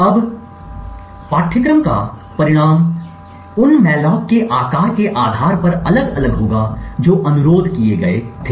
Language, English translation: Hindi, Now the result of course would vary depending on the size of the mallocs that was requested